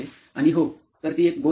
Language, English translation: Marathi, And yeah, so that is one thing